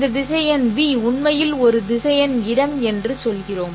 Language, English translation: Tamil, Then we say that this vector v is actually a vector space